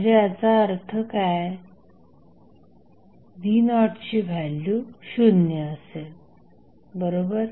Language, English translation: Marathi, So, what does it mean the value of V naught would be 0, right